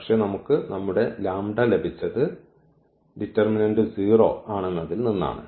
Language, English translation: Malayalam, And, note that our lambda which we will get with this condition that the determinant is 0